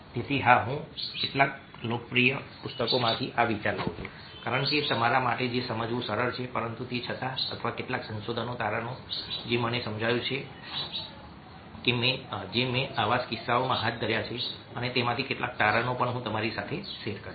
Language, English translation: Gujarati, so, yes, i do take from some of the popular books the idea, because because it's easy for you to understand that, but in dispersed with that, or some findings which i have understood, which i have also conducted in such cases, and some of those findings also i will be sharing with you